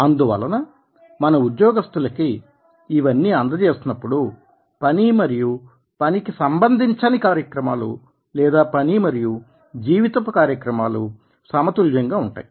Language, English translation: Telugu, so all these things are given to the employees so that the work and non work activities or work and life activities will be balanced in i